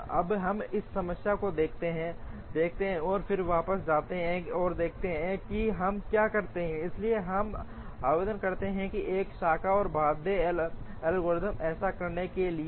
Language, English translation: Hindi, So, now let us look at this problem and then go back and see what we do, so let us apply a branch and bound algorithm to do that